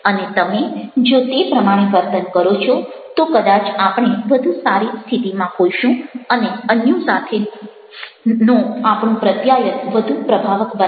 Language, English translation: Gujarati, and if you are behaving like that, perhaps we shall be in a better position and we shall have effective communication with others